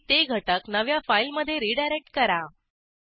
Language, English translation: Marathi, Redirect the content to a new file